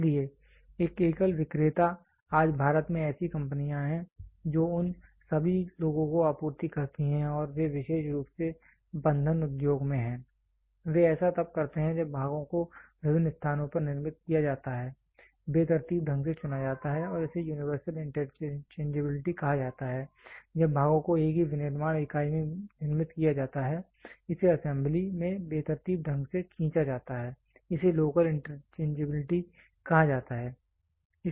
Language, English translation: Hindi, So, a single vendor there are companies today in India which supplies to all those people and they are particularly in the fastening industry they do it when the parts are to be manufactured at different locations are randomly chosen workably it is called as universal interchangeability, when the parts are manufactured at the same manufacturing unit are randomly drawn into the assembly it is called as local interchangeability